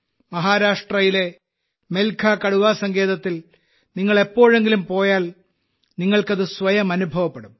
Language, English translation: Malayalam, If you ever go to the Melghat Tiger Reserve in Maharashtra, you will be able to experience it for yourself